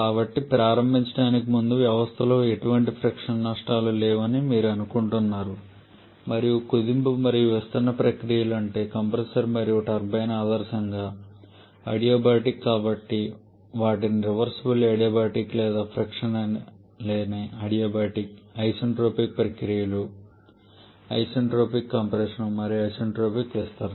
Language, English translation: Telugu, So, to start with your assuming that there is no frictional losses anywhere in the system and also the compression and expansion processes that is the compressor and turbine in there ideally adiabatic therefore giving them reversible adiabatic or frictionless adiabatic to be isentropic processes, isentropic compression and isentropic expansion